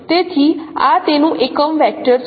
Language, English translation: Gujarati, So this is what it is a unit vector